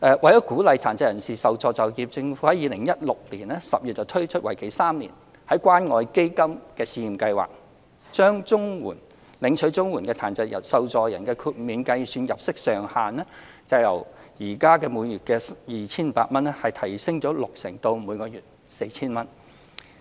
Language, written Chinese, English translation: Cantonese, 為鼓勵殘疾受助人就業，政府在2016年10月推出為期3年的關愛基金試驗計劃，將領取綜援的殘疾受助人的豁免計算入息上限由每月 2,500 元提升六成至每月 4,000 元。, To encourage CSSA recipients with disabilities to engage in employment in October 2016 the Government introduced a three - year pilot scheme under CCF to raise the maximum level of disregarded earnings for CSSA recipients with disabilities by 60 % from 2,500 to 4,000 per month